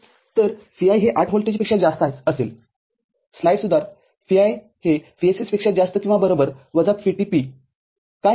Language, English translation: Marathi, So, Vi is greater than 8 volt (Vi to be greater than equal to VSS minus VT ) what is happening